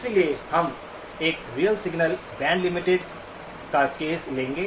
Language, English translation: Hindi, So we will take the case of a real signal, band limited